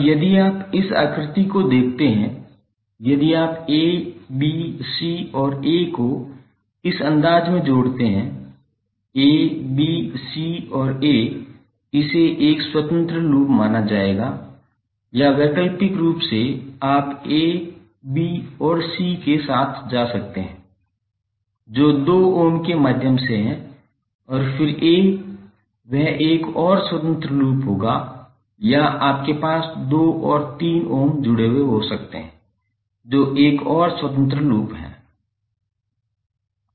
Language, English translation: Hindi, Now if you see this figure if you connect a, b, c and a in this fashion a, b, c and a this will be considered one independent loop or alternatively you can go with a, b and c which is through two ohm and then a that will be another independent loop or you can have two and three ohm connected that is also another independent loop